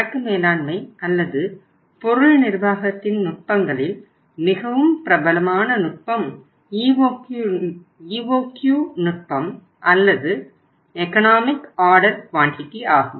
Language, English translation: Tamil, You must have read sometime in the past about the techniques of inventory management or material management and most popular technique is the EOQ technique or Economic Order Quantity Technique